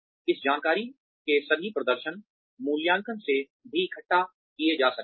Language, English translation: Hindi, All of this information, can also be gathered, from the performance appraisals